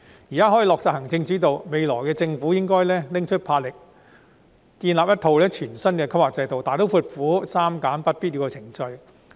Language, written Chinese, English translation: Cantonese, 現時行政主導得以落實，未來政府應該拿出魄力，建立一套全新的規劃制度，大刀闊斧地刪減不必要的程序。, Now that an executive - led system can be implemented the Government should therefore show its courage and establish a new planning system to drastically remove unnecessary procedures in the future